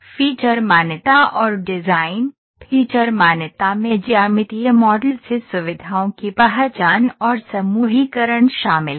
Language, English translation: Hindi, The feature recognition involves the identification and grouping of features, feature entities to get geometric model